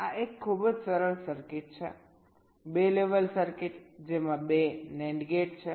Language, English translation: Gujarati, this is a very simple circuit, a two level circuit consisting of two nand gates